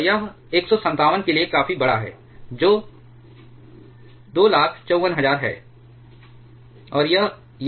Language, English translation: Hindi, And that is significantly larger for 157 which is 254000